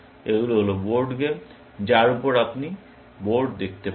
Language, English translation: Bengali, These are board games on which, you can see the board